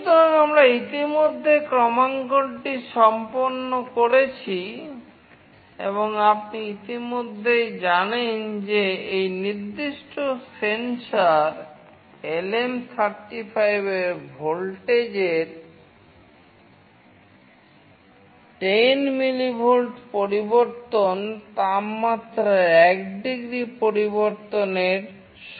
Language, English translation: Bengali, So, we have already done the calibration and as you already know that in this particular sensor that is LM35, 10 millivolt change in voltage will be equivalent to 1 degree change in temperature